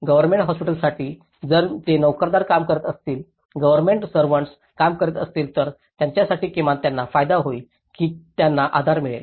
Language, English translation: Marathi, For Government Hospital, if it is servants were working, government servants who are working, for them at least they have some benefit that they will be supported